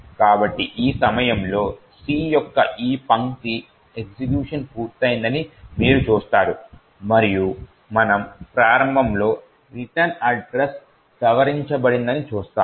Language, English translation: Telugu, So, at this point you see that this line of C has completed executing and we would also look at the start and note that the return address has been modified